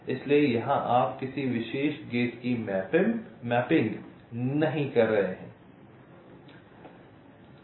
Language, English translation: Hindi, so here you are not mapping of particular gate like